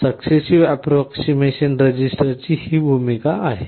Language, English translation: Marathi, This is the role of the successive approximation register